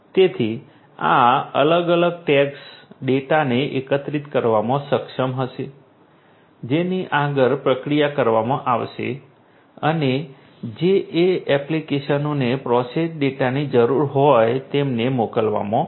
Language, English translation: Gujarati, So, there are two types and these different tags would be able to collect the data which will be further processed through processed and would be sent to the desire the to the applications that need the processed data